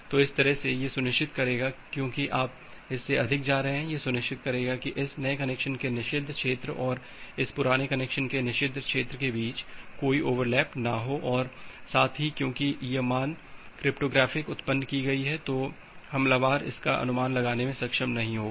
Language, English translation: Hindi, So, that way it will ensure because you are going higher of that, it will ensure that there is no overlap between the forbidden region of this new connection and the forbidden region of this old connection, and at the same time because this value was cryptographically generated the attacker will be not be able to guess that